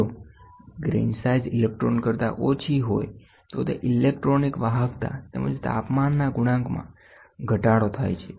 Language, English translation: Gujarati, If the grain size smaller than an electron, mean free path the electronic conductivity as well as the temperature coefficient decreases